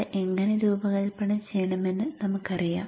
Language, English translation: Malayalam, We know how to design that